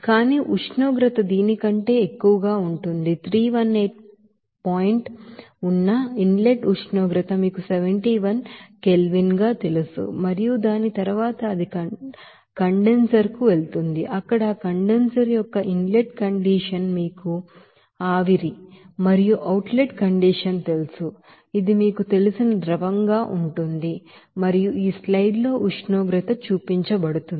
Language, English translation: Telugu, But temperature will be higher than this you know that inlet temperature that is 318 point you know 71 Kelvin and after that it will go to the condenser where inlet condition of that condenser it will be that you know vapor and also outlet condition it will be liquid of that you know pressure and temperature is shown here in the slides